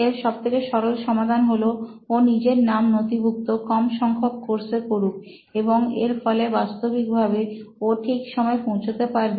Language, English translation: Bengali, So the simplest solution for him is to enrol for very few classes and he would actually show up on time